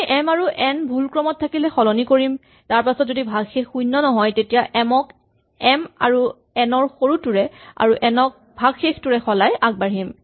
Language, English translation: Assamese, We first exchange m and n if they are in the wrong order, then so long as the remainder is not 0 we replace m by the smaller of the two numbers and we replace n by the remainder and we proceed